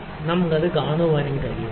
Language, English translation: Malayalam, So, we can see that